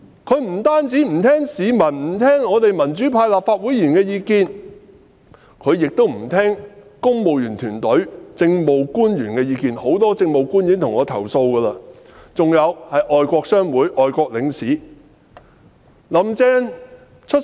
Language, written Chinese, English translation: Cantonese, 她不單不聆聽市民、民主派立法會議員的意見，亦不聆聽公務員團隊、政務官員的意見，很多政務官也曾向我投訴這點，就是外國商會和外國領使的意見，她也不聆聽。, She does not merely refuse to listen to the views of the public and Members of the Legislative Council from the pro - democracy camp she also refuses to listen to the views of the civil service and Administrative Officers . Many Administrative Officers have complained to me about this . She even refuses to listen to views expressed by foreign chambers of commerce and foreign envoys